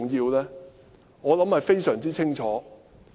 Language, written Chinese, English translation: Cantonese, 我相信答案非常清楚。, I believe the answer is more than clear